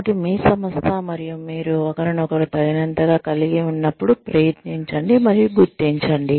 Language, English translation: Telugu, So, try and recognize, when your organization and you have, had enough of each other